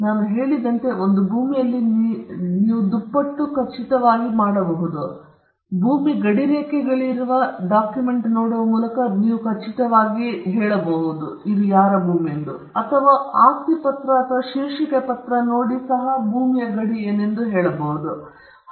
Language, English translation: Kannada, As I said, in the case of a land, you can doubly be sure: you can be sure by looking at the document, where the boundaries of the land are; you could also go and look into the property deed or the title deed and see what are the boundaries of the land